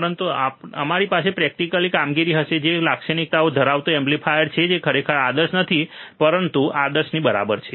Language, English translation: Gujarati, But we will have a practical operation, amplifier with some characteristics which are not really ideal, but close to ideal ok